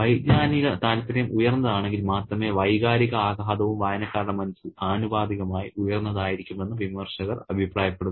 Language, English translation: Malayalam, And critics suggest that only if the cognitive interest is high, the emotional impact will also be proportionately high on the minds of the readers